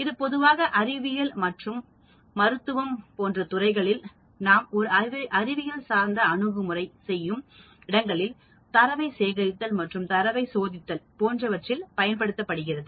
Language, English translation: Tamil, It is used very commonly in fields of science, medicine, where we use a scientific approach for collecting data and testing the data